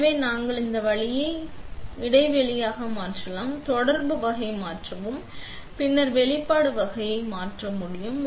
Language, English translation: Tamil, So, we move this way you can change the gap, change the type of contact and then change exposure type